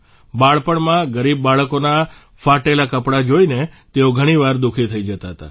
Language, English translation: Gujarati, During his childhood, he often used to getperturbedon seeing the torn clothes of poor children